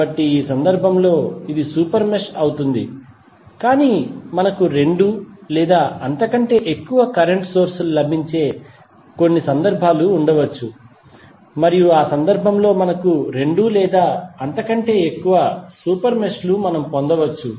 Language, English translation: Telugu, So, in this case this would be the super mesh but there might be few cases where we may get two or more current sources and then in that case we may get two or more super meshes